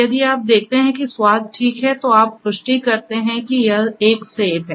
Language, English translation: Hindi, If you see that the taste is ok, then you confirm that it is an apple